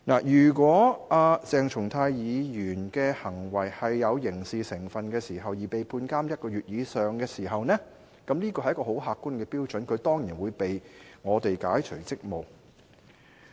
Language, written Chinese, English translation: Cantonese, 如果鄭松泰議員的行為有刑事成分而被判監禁1個月以上時，這是很客觀的標準，他當然會被我們解除職務。, If Dr CHENG Chung - tais conduct involved elements of criminality and he was sentenced to imprisonment for one month or more this would meet the very objective standard and certainly actions should be taken by us to relieve him of his duties as a Member